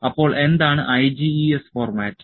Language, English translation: Malayalam, So, what is IGES format